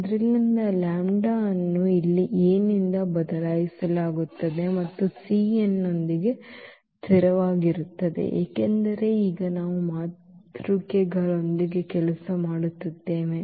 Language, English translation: Kannada, So, it is just the lambda is replaced by this A here and with the c n to make it consistent because, now we are working with the matrices